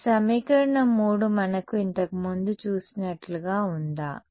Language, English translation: Telugu, So, does this equation 3 look like does it look like something that we have seen before